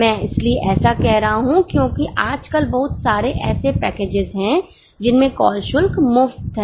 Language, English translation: Hindi, Because nowadays there are so many packages where call charges are free